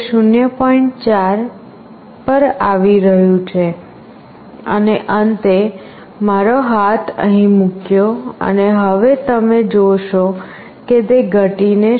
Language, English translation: Gujarati, 4 and finally, I have put my hand here and now you see that it has been reduced to 0